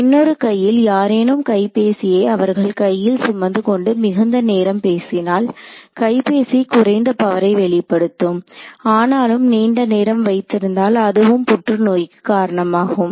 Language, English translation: Tamil, On the other hand someone carrying the mobile next to their hand and talking for extended periods of time; mobile produces less power, but if you keep it held for a long time that is also a possible cause for cancer